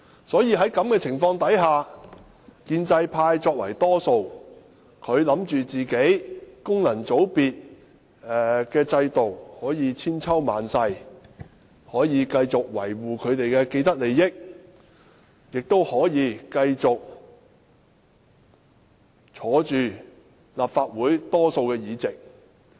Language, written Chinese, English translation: Cantonese, 在這種情況下，建制派作為多數，他們認為功能界別的制度可以千秋萬世，他們可以繼續維護自己的既得利益，也可以繼續坐擁立法會大多數議席。, For this reason the pro - establishment camp which is the majority in the Council thinks that the functional constituency system can last forever and they can continue to hold the majority seats and safeguard their vested interest . As result whenever they see any opportunity they will make full use of it